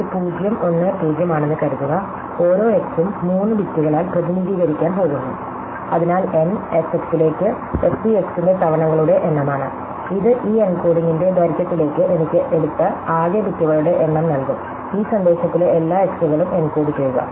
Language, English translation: Malayalam, So, supposing it is 0 1 0 then each x is going to represent by 3 bits, so then n into f x is the number of times I see x and this into the length of this encoding is going to give me the total number of bits taken to encode all the xÕs in this message